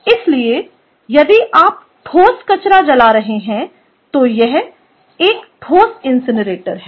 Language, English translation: Hindi, so if you are burning solid waste, its a solid incinerator